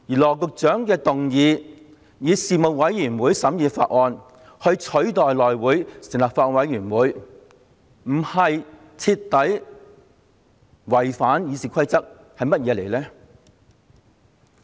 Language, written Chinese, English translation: Cantonese, 羅局長的議案提出以人力事務委員會取代由內會成立法案委員會審議《條例草案》。, Secretary Dr LAWs motion seeks to use the Panel on Manpower to replace the Bills Committee formed by the House Committee for the scrutiny of the Bill